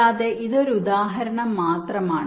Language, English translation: Malayalam, now this is another example